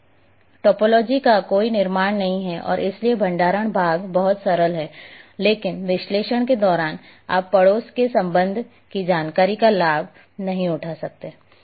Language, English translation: Hindi, Since there is a no construction of topology and therefore the storage part is very simple, but during analysis you cannot take advantage of that, the neighbourhood relationship information